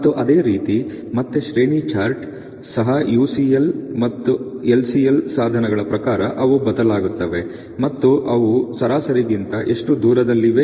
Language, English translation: Kannada, And so, similarly from again the range chart also their quite variable in terms of their means of the UCL or the LCL and how far they are way from the mean